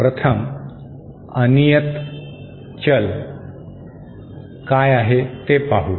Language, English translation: Marathi, 1st, let us see what is a random variable